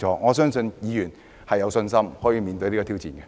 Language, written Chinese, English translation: Cantonese, 我相信議員都有信心面對這種挑戰。, I believe Members have the confidence to face this kind of challenge